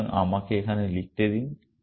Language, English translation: Bengali, So, let me write this here